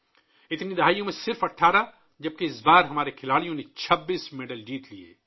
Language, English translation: Urdu, In all these decades just 18 whereas this time our players won 26 medals